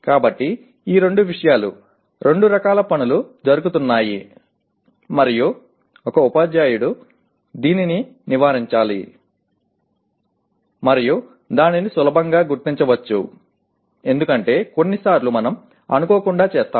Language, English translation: Telugu, So both these things, both the types of things are being done and a teacher should avoid this and that can be easily identified because sometimes we do it inadvertently